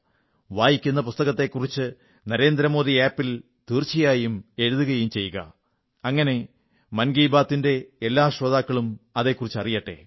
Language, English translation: Malayalam, You will really enjoy it a lot and do write about whichever book you read on the NarendraModi App so that all the listeners of Mann Ki Baat' also get to know about it